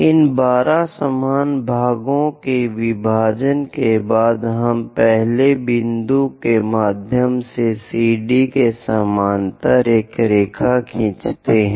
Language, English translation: Hindi, After division of these 12 equal parts, what we will do is, through 1, through the first point draw a line parallel to CD